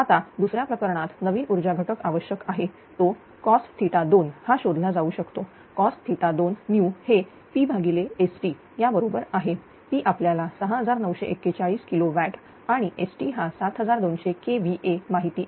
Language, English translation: Marathi, Now, in the second case the new power factor require can be found as that cos theta 2 new right is equal to P upon S T; P we know 6942 kilowatt and S T is 7200 kVA